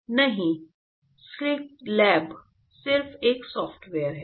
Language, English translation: Hindi, Scilab is just a software